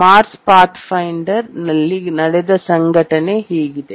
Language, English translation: Kannada, Let's see what happened in the Mars Pathfinder